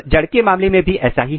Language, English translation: Hindi, Similar is the case in case of root